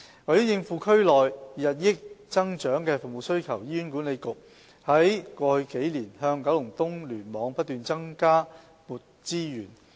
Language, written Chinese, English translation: Cantonese, 為應付區內日益增長的服務需求，醫院管理局在過去數年不斷向九龍東聯網增撥資源。, To meet the increasing demands for services in the districts the Hospital Authority HA has been providing the Kowloon East Cluster KEC with additional resources over the past couple of years